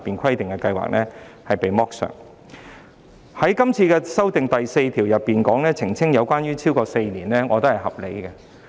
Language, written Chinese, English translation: Cantonese, 關於對《條例草案》第4條提出的修正案，澄清有關服務"超過4年"的釋義，我認為合理。, Regarding the amendments proposed in clause 4 of the Bill I consider it reasonable to clarify the interpretation of service for a period of more than four years